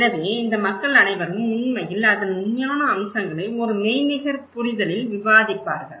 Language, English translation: Tamil, So, all these people will actually discuss the real aspects of it, in a virtual understanding